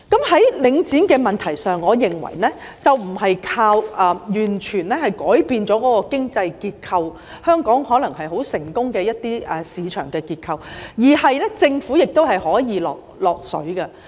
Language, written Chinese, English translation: Cantonese, 在領展的問題上，我認為不是完全靠改變經濟結構、一些香港可能一直賴以成功的市場結構來處理，而是政府也可以"落水"的。, On the issues related to Link REIT I believe they cannot be dealt with entirely by changing the economic structure or the market structure on which Hong Kongs success hinges rather the Government can also get itself involved